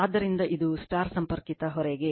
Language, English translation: Kannada, So, this is for a star connected load